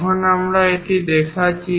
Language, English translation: Bengali, Here we are showing 2